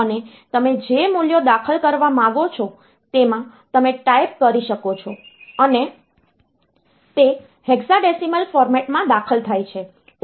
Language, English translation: Gujarati, And you can type in the values that you want to entered like, and they are entered in a hexadecimal format